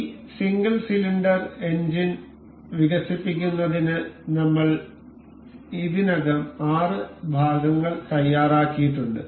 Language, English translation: Malayalam, I already have prepared this 6 part to develop this this single cylinder engine